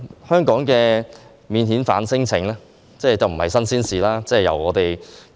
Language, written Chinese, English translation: Cantonese, 香港對免遣返聲請的處理，已不是新鮮事。, It is not something new that Hong Kong has to deal with non - refoulement claims